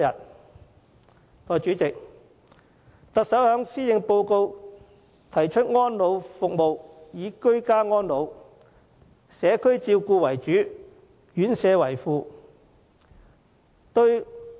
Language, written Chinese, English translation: Cantonese, 代理主席，行政長官在施政報告中提出安老服務應以居家安老和社區照顧為主，院舍為輔的方針。, In the Policy Address Deputy President the Chief Executive mentioned that elderly services should accord priority to the provision of home care and community care supplemented by residential care